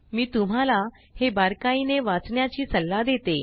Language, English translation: Marathi, I advise you to read this thoroughly